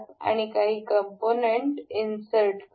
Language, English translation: Marathi, We will insert components